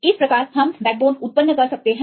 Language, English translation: Hindi, This is how we can generate the backbones